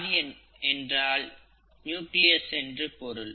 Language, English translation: Tamil, Karyon is the word for nucleus